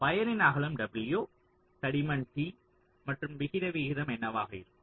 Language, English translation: Tamil, what will be the thickness, t of the wire, width, w and the aspect ratio also